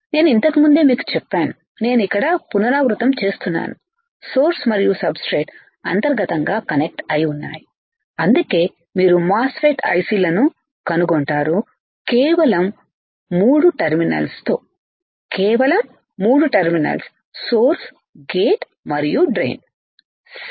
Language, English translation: Telugu, I have told you earlier also I am repeating it here, source and substrates are connected internally that is why you will find MOSFET I cs with only 3 terminals, only 3 terminals source gate and drain ok